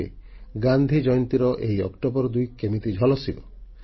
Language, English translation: Odia, You will see how the Gandhi Jayanti of this 2nd October shines